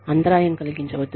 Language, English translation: Telugu, Do not interrupt